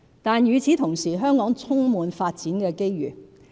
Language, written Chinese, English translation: Cantonese, 但與此同時，香港充滿發展機遇。, Meanwhile Hong Kong is full of development opportunities